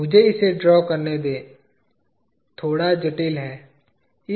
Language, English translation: Hindi, Let me just draw this, little cumbersome